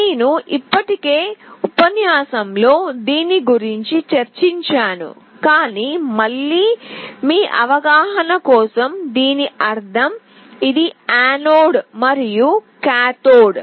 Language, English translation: Telugu, I already discussed this in the lecture, but what does it mean, this is the anode and this is the cathode